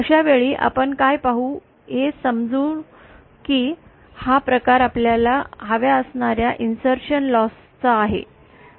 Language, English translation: Marathi, In that case what we see is suppose this is the kind of insertion loss that we wanted